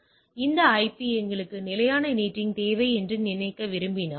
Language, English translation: Tamil, So, if you want to this IP to think we require static NATing